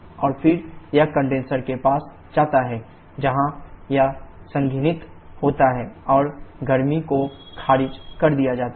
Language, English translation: Hindi, And then it passes to the condenser where it condenses and heat is rejected